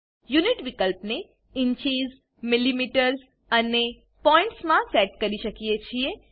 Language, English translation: Gujarati, Unit field can be set in inches, millimetres and points